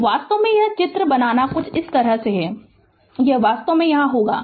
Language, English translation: Hindi, So, actually drawing this drawing is little bit like this, it will be actually here right